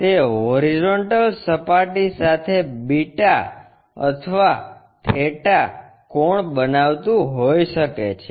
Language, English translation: Gujarati, It makes an angle may be beta or theta with the horizontal plane